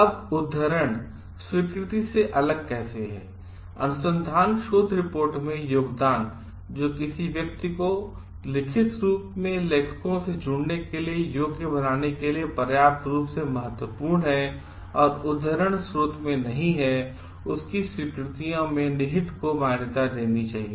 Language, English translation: Hindi, Now, how citation is different from acknowledgement, contributions to the reported research that is sufficiently significant to qualify a person to join the authors in writing up the research nor contained in citable source should be recognized in acknowledgements